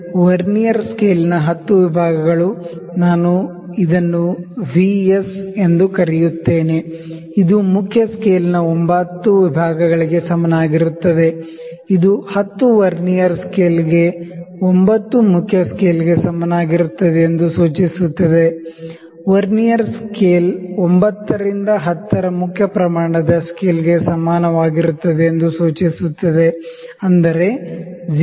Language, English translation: Kannada, This 10 divisions of Vernier scale, 10 divisions of the Vernier scale I will call it VS is equal to 9 divisions of main scale, which implies 10 into Vernier scale is equal to 9 into main scale, which implies Vernier scale is equal to 9 by 10 of main scale is equal to 0